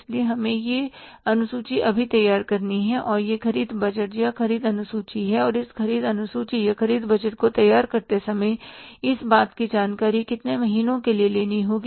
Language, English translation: Hindi, So, we have to prepare this schedule now and that is the purchase budget or the purchase schedule and while preparing this purchase schedule or purchase budget we will have to take into account the information for how many months